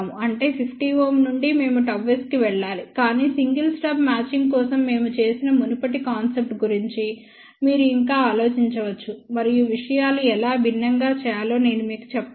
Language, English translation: Telugu, That means, from 50 ohm we have to move to gamma s, ok but still you can think about the previous concept which we had done for single stub matching and I will tell you how things to be done differently